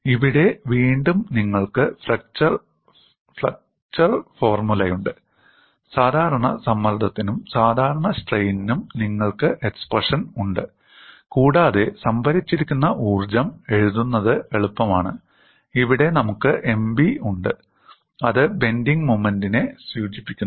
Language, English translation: Malayalam, Here again, you have the fracture formula, you have the expression for normal stress and normal strain, and it is easy to write the strain energy stored, and here we have M b which denotes the bending moment